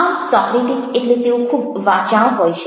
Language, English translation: Gujarati, so socratic means they are very talkative, they are very